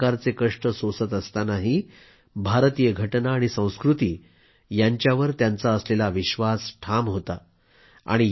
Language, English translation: Marathi, Despite that, their unwavering belief in the Indian Constitution and culture continued